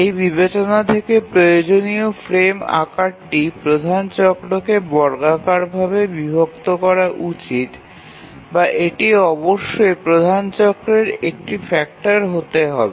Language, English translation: Bengali, From this consideration we require that the frame size that is chosen should squarely divide the major cycle or it must be a factor of the major cycle